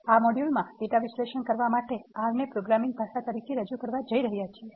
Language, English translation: Gujarati, In this module, we are going to introduce R as a programming language to perform data analysis